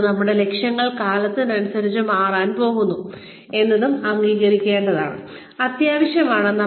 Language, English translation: Malayalam, And, it is also essential to accept, that our goals are going to change, with the time